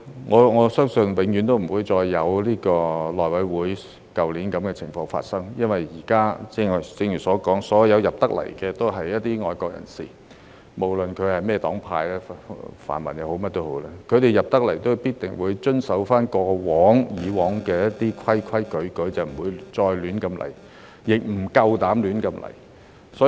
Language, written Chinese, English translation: Cantonese, 我相信永遠不會再發生如去年內務委員會選主席的情況，因為現在——正如我剛才所說——所有進入立法會的皆為愛國人士，不論來自甚麼黨派，泛民也好、甚麼都好，凡是進入立法會的人士，都必定會遵守過去所訂的規矩，不會再亂來，亦不夠膽亂來。, Of course regarding filibuster election of committee chairmen and things I believe situations like the election of the Chairman of the House Committee last year will never happen again because now—as I just said—all those who join the Legislative Council will be patriots regardless of their political affiliations be it the pan - democratic camp or whatever . Whoever joins the Legislative Council will definitely comply with the rules previously established . No one will run amok nor dare to do so